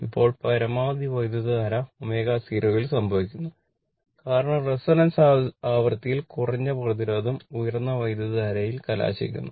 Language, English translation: Malayalam, Now, maximum current occurs at omega 0 because, that is at resonance frequency right, a low resistance results in a higher current